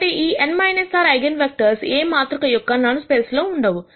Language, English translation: Telugu, So, these n minus r eigenvectors cannot be in the null space of the matrix A